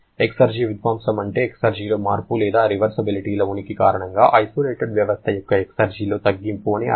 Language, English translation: Telugu, Exergy destruction is the change in the exergy or reduction in the exergy of the isolated system because of the presence of irreversibilities